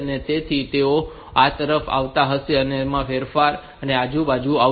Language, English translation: Gujarati, So, they will be coming to the they will be rotated and coming to this side